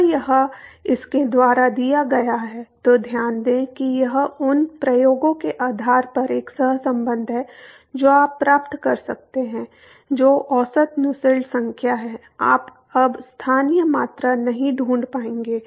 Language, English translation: Hindi, So, that is given by: So, note that it is a correlation based on experiments to the best you can get is the average Nusselt number, you will not able to find the local quantities anymore